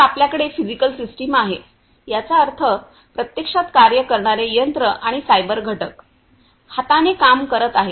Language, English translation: Marathi, So, we have the physical system; that means, the machine which is actually performing the work and the cyber component so, working hand in hand